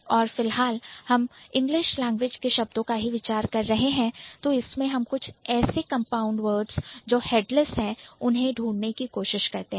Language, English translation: Hindi, And if we are thinking about it in English, then do come up with some suggestions where we will find compound words which are headless